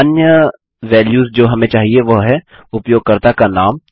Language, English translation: Hindi, Now, the other values we need to get are the name of the user